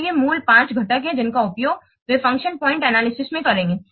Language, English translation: Hindi, Let's see what are the key components of function point analysis